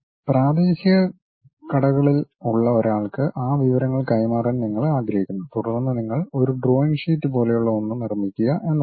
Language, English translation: Malayalam, And you want to transfer that information to someone like local shop guy, then the way is you make something like a drawing sheet